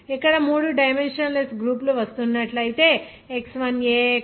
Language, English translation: Telugu, Here three all three dimensionless groups if it is coming then X1a X2a …